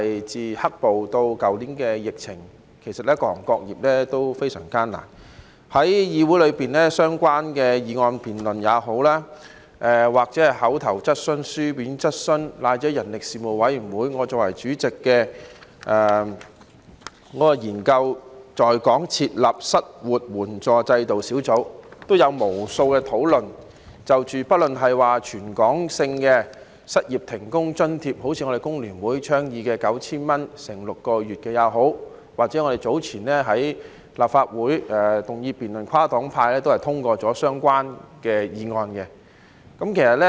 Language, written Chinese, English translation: Cantonese, 在議會裏，對於不論是就相關議題進行的議案辯論，或口頭質詢、書面質詢，以至我作為主席的人力事務委員會，研究在港設立失業援助制度小組委員會也有就此議題進行了無數的討論，即不論是提供全港性的失業停工津貼，例如工聯會倡議的 9,000 元乘6個月的建議，或我們早前在立法會的議案辯論，跨黨派通過了的相關議案。, In the Council there have been countless discussions on this topic be it motion debates oral questions or written questions on the relevant issues or even in the Subcommittee to Study the Setting Up of an Unemployment Assistance System in Hong Kong under the Panel of Manpower which I chair . These discussions include both the provision of a territory - wide allowance for unemployment and suspension of work such as the proposal of a monthly allowance of 9,000 for six months advocated by the Hong Kong Federation of Trade Unions FTU and the debate held previously in the Legislative Council on a motion which was passed by a cross - party majority